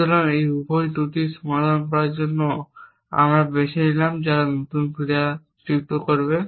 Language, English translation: Bengali, So, both of those flaws we are chosen to resolver who is to add the new action